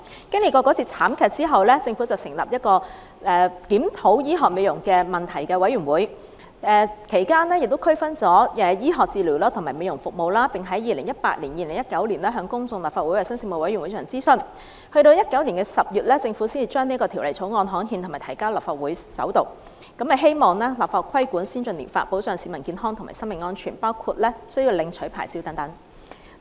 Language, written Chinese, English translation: Cantonese, 經歷那次慘劇後，政府成立檢討醫學美容問題的委員會，其間亦區分了醫學治療和美容服務，並在 2018-2019 年度向公眾和立法會衞生事務委員會進行諮詢，直至2019年10月，政府才將《條例草案》刊憲及提交立法會進行首讀，希望立法規管先進療法，保障市民健康和生命安全，包括需要領取牌照等。, In fact these services are highly risky and potentially life - threatening . Subsequent to the tragedy the Government established a committee to review medical beauty treatments and sought to differentiate between medical treatment and beauty treatment services . In 2018 - 2019 the Government consulted the public and the Panel on Health Services of the Legislative Council on the subject; and in October 2019 the Government gazetted the Bill and submitted it to the Legislative Council for First Reading in a bid to regulate ATPs through legislation and protect the health and safety of the public by means of among others licensing